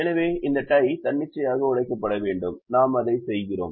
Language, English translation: Tamil, so this tie has to be broken arbitrarily and we do that